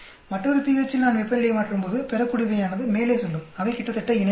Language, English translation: Tamil, When I change temperature at another pH yield goes up like this, they look almost parallel